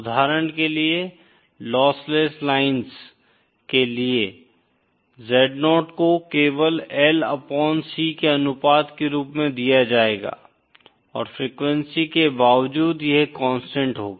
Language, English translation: Hindi, For example, for lossless lines, Z0 will be simply given as the ratio of L upon C and would be constant irrespective of the frequency